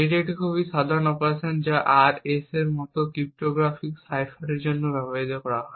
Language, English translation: Bengali, It is a very common operation that is used for cryptographic ciphers like the RSA